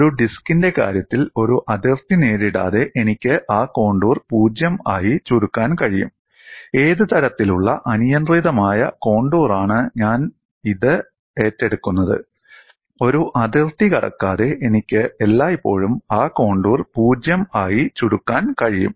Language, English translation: Malayalam, The test is you take a contour; suppose I take an arbitrary contour like this, I can shrink that contour to 0 without encountering a boundary in the case of a disk, whichever type of arbitrary contour I take on this; I can always shrink that contour to 0 without encountering a boundary